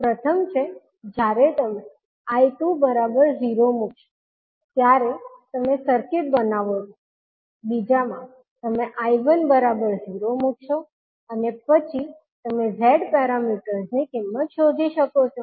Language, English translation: Gujarati, First is you create the circuit when you put I2 is equal to 0, in second you put I1 equal to 0 and you will find out the value of Z parameters